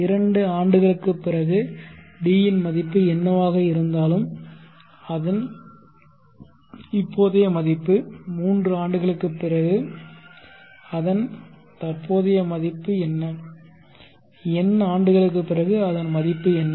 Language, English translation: Tamil, So one year later whatever the value of D what is its present to earth, two years later whatever the value of D what is present to earth so on